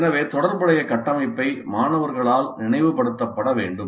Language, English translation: Tamil, So the relevant framework must be recalled by the students